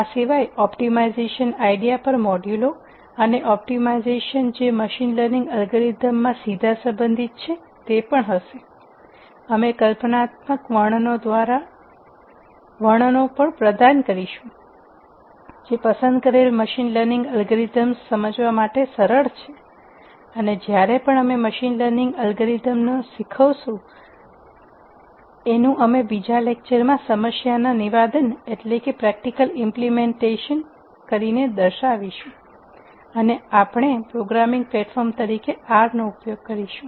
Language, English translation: Gujarati, Other than this will also have modules on optimization ideas and optimization that are directly relevant in machine learning algorithms, we will also provide conceptual and descriptions that are easy to understand for selected machine learning algorithms and whenever we teach a machine learning algorithm we will also follow it up with another lecture where the practical implementation of an algorithm for a problem statement is demonstrated and that demonstration would take place and we will use R as the programming platform